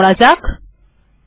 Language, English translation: Bengali, So let me do that